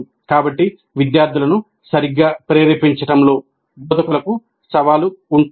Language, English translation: Telugu, So the instructors will have a challenge in motivating the students properly